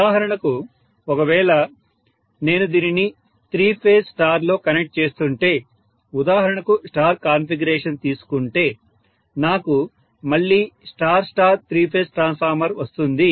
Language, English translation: Telugu, And if I am connecting for example this in star star configuration for example, so I am going to have again for the star star three phase transformer